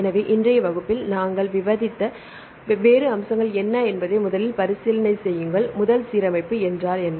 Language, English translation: Tamil, So, the first recap what are the different aspects we discussed in today’s class; a first alignment what is an alignment